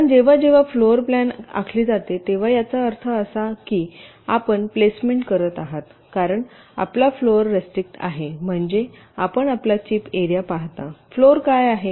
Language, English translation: Marathi, because whenever do a floor planning, it means you are doing placement, because your floor is restricted, means you see your chip area